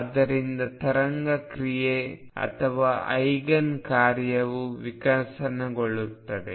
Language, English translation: Kannada, So, this is how wave function or an Eigen function evolves